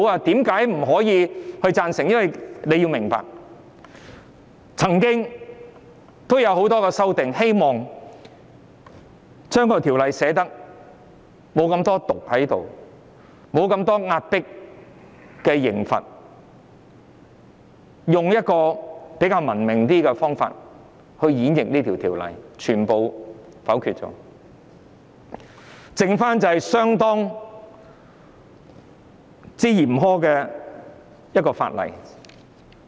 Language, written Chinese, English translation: Cantonese, 大家要明白，很多修正案是希望減輕《條例草案》內的"毒"，減低壓迫的刑罰，以比較文明的方法演繹這項《條例草案》，但全遭否決，只剩下相當嚴苛的法例。, Members have to understand that many amendments merely seek to minimize the poison in the Bill by reducing the suppression penalty so that the Bill can be interpreted from a relatively civilized perspective . Nonetheless all the amendments have been vetoed and we are merely left with the very harsh law